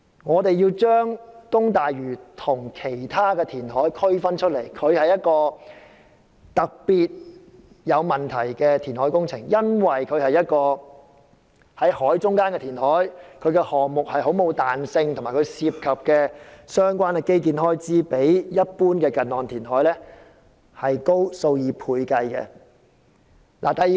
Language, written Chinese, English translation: Cantonese, 我們要將東大嶼跟其他填海項目分開來看，因為這是一項特別有問題的工程，涉及在海中央進行的填海工程，並無太大彈性，而所涉及的相關基建開支比一般近岸填海高出數倍。, We must treat the East Lantau reclamation works differently from other reclamation projects because this project is rife with problems and as it involves reclamation in the Central Waters with little flexibility . The construction costs of the relevant infrastructures will be a few times higher than reclamation works close to the coast in general